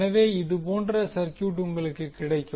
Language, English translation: Tamil, So, you will get the circuit like this